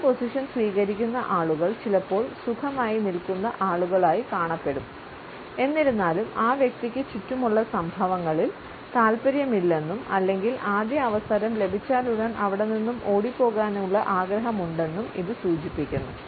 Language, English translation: Malayalam, People adopting this stand sometimes come across as comfortably standing people; however, it suggest that the person is not exactly interested in what is happening around him or her rather has a desire to move away on the first available opportunity